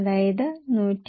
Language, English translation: Malayalam, So, into 1